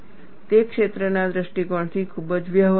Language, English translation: Gujarati, It is very practical, from field point of view